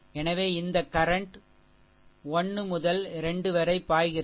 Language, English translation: Tamil, So, this current is flowing from 1 to 2